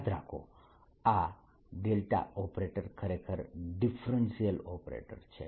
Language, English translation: Gujarati, this operator is actually a differential operator